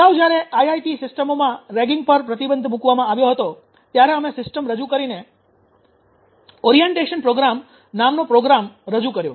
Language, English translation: Gujarati, So this earlier know when this ragging was banned in from IIT systems then who introduce the system introduced a program called orientation program